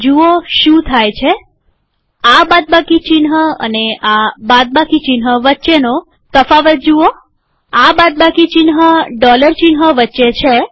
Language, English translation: Gujarati, See what happens, see the difference between this minus sign and this minus sign